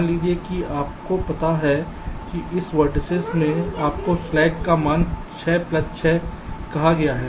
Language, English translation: Hindi, suppose you find that in this vertex your slack was, let say slack value ah, six plus six